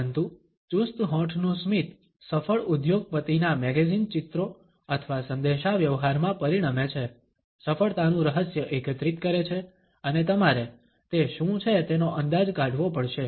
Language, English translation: Gujarati, But the tight lip smile results in magazine pictures of successful businessman or a communicating, up gather the secret of success and you have to try and guess what they are